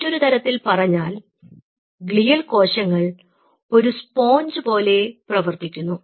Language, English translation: Malayalam, so in other word, those glial cells acts as a sponge